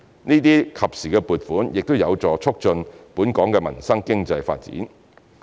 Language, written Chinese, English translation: Cantonese, 這些及時撥款亦有助促進本港民生經濟發展。, Such timely funding approvals will also help to boost Hong Kongs economic development relating to the peoples livelihood